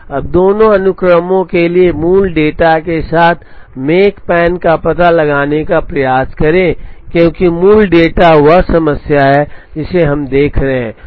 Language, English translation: Hindi, Now, for both the sequences, let us try and find out the makespan with the original data, because the original data is the problem that we are looking at